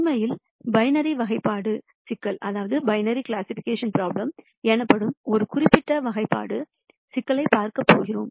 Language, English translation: Tamil, In fact, we are going to look at a very specific classification problem called binary classi cation problem